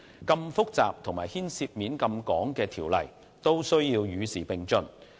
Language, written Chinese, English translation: Cantonese, 如此複雜及牽涉廣泛層面的條例也需要與時並進。, It is essential for such a complicated ordinance covering extensive sectors to keep abreast of the times